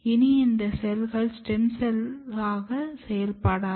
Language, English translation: Tamil, These cells are no longer working as a stem cells